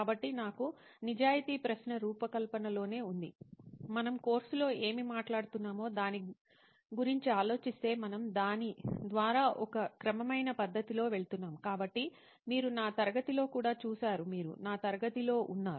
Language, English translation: Telugu, So for me the honest question is in design thinking itself if you think about what we have been talking about in the course itself is that we are going through it in a systematic methodic approach, right so you have seen it in my class as well when you were in my class